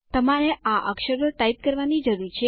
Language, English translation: Gujarati, You are required to type these letters